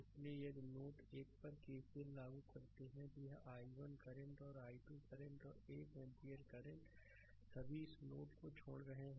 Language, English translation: Hindi, So, if you apply KCL at node 1, look this i o[ne] this ah i 1 current and i 2 current and one ampere current all are leaving this node